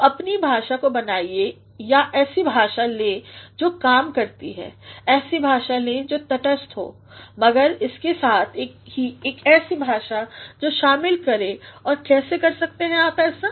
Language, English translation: Hindi, So, make your language or go for a language that works go for a language that is neutral, but at the same time a language that involves and how can you do that